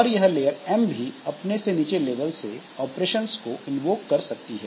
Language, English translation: Hindi, So, layer in turn can invoke operations at lower level